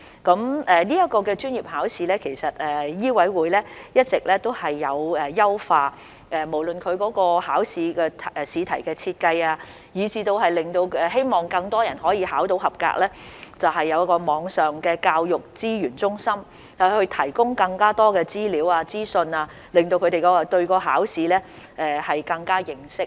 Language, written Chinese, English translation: Cantonese, 在執業資格試方面，醫委會已一直進行優化，包括試題的設計，以期令更多考生獲取及格成績，以及引進網上教育資源中心，以提供更多資料、資訊，加深考生對考試的認識。, MCHK has been improving the arrangements for LE including improving the design of examination questions to enable more candidates to pass the examination and introducing a Virtual Education Resource Centre to provide more information and details to enhance candidates understanding of the examination